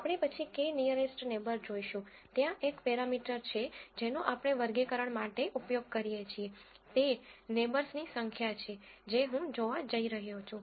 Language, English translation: Gujarati, We will later see that the k nearest neighbor, there is one parameter that we use for classifying, which is the number of neighbors that I am going to look at